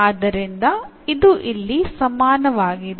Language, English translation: Kannada, So, this is equal here